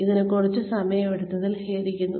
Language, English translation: Malayalam, I am sorry it has taken up sometime